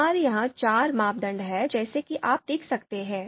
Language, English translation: Hindi, So we have four criteria here as you can see